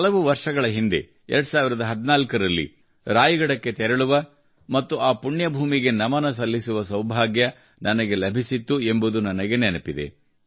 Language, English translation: Kannada, I remember, many years ago in 2014, I had the good fortune to go to Raigad and pay obeisance to that holy land